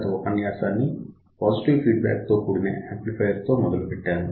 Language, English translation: Telugu, In the previous lecture, I started with amplifier with positive feedback